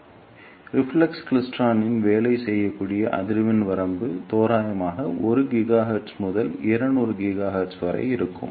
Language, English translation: Tamil, So, the frequency range over which reflex klystron can work is roughly from 1 gigahertz to 200 gigahertz